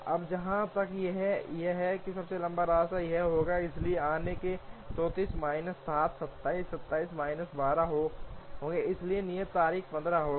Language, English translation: Hindi, Now, as far as this is concerned the longest path would be from here, so 34 minus 7, 27, 27 minus 12 will be 15 for this to come, so due date will be 15